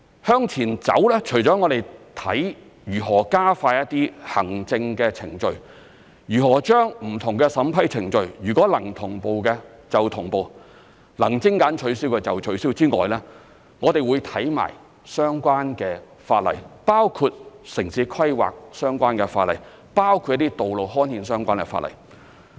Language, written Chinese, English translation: Cantonese, 向前走，我們除了看如何加快一些行政程序，如何把不同的審批程序，如果能同步的便同步、能取消的便取消之外，我們亦會檢視相關的法例，包括城市規劃相關的法例、一些道路刊憲相關的法例。, Moving forward apart from exploring ways to expedite some administrative procedures and synchronize or cancel various vetting and approval procedures wherever possible we will also review relevant legislations including laws related to town planning and road gazettal